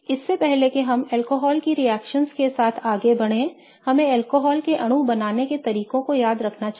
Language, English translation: Hindi, Before we go ahead with the reactions of alcohols, let us remember the ways we have seen to create an alcohol molecule